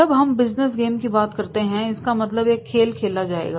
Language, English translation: Hindi, Now here we when we talk about the business game a game will be played